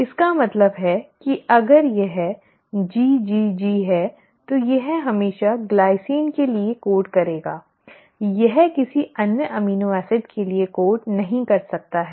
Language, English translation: Hindi, It means if it is GGG it will always code for a glycine, it cannot code for any other amino acid